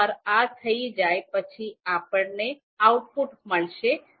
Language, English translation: Gujarati, So once this is done, we will get the output